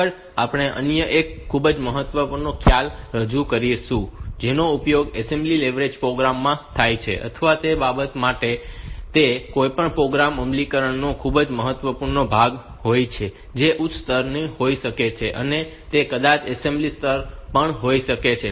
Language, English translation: Gujarati, Next, we will introduce another very important concept that is used in as in assembly language programs, or for that matter it is a very important part of any program implementation may be high level maybe assembly level